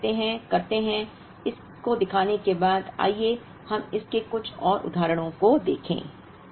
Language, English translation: Hindi, Now we do, having seen this, let us look at just a couple of more instances of this